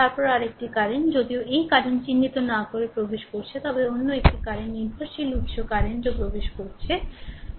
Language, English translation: Bengali, Then another current although not marked right this current is entering then another current is dependent source current also entering